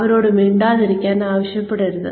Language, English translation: Malayalam, Do not ask them, to shut up